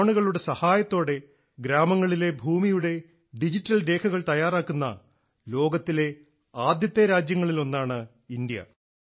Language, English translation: Malayalam, India is one of the first countries in the world, which is preparing digital records of land in its villages with the help of drones